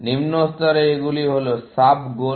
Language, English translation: Bengali, At lower levels, these are sub goals